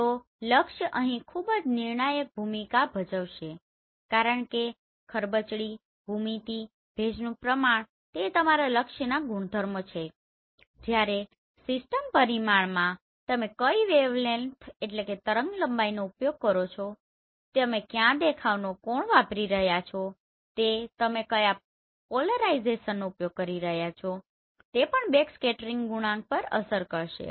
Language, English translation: Gujarati, So the target will play a very critical role here because roughness, geometry, moisture content they are the properties of your target whereas the system parameter like which wavelength you are using what look angle you are using, what polarization you are using that will also affect this backscattering coefficient